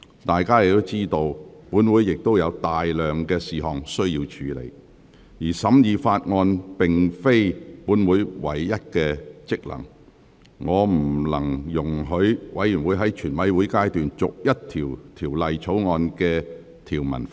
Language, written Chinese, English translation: Cantonese, 大家亦知道，本會有大量事項需要處理，而審議法案並非本會的唯一職能，我不能容許委員在全體委員會審議階段逐一就《條例草案》的條文發言。, We also know that this Council has to deal with a lot of business and the scrutiny of bills is not the sole function of this Council . I cannot allow Members to make clause - by - clause remarks on the Bill at the Committee stage